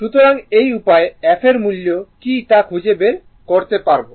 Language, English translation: Bengali, So, this way you can find out what is the value of the f right